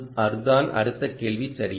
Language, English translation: Tamil, again the same question, right